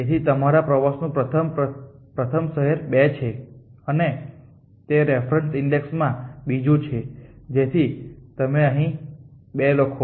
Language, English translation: Gujarati, So the first city in you 2 is 2 and that is second and the reference index so you right 2 here